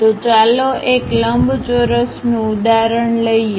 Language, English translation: Gujarati, So, let us take an example a rectangle